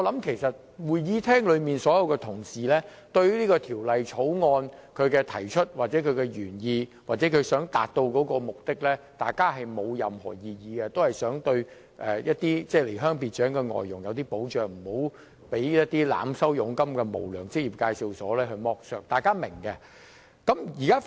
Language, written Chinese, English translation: Cantonese, 其實會議廳內所有同事對這項《條例草案》的提出、其原意或其想達到的目的沒有任何異議，大家也想保障離鄉別井的外傭免被濫收佣金的無良職業介紹所剝削，這一點大家也是明白的。, In fact all Honourable colleagues in the Chamber have no objection to the introduction original intent or desired objectives of this Bill . It is our common goal to protect foreign domestic helpers who have left their homeland from exploitation by unscrupulous employment agencies engaged in overcharging of commission